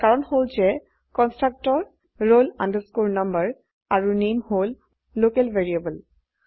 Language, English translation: Assamese, This is because in the constructor roll number and name are local variables